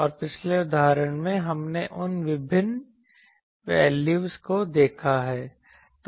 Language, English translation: Hindi, And in the previous example, we have seen various those values that